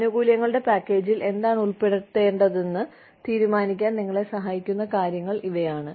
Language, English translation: Malayalam, These are the things, that help you decide, what you want to put in the benefits package